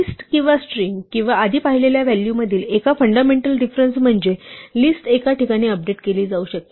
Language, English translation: Marathi, One fundamental difference between list and string or indeed any of the values we have seen before is that a list can be updated in place